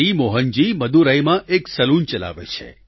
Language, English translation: Gujarati, Shri Mohan ji runs a salon in Madurai